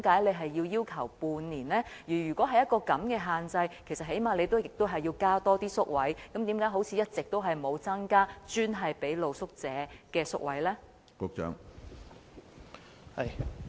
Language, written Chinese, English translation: Cantonese, 即使要施加這種限制，當局最低限度也要增加宿位，但為何一直都沒有增加專為露宿者提供的宿位？, Even if such a restriction is valid the authorities must at least increase the number of hostel places . But why has the number of hostel places dedicated for accommodating street sleepers not been increased all along?